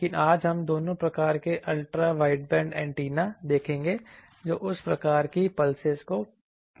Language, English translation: Hindi, But today we will see both various types of Ultra wideband antennas that can pass that type of pulses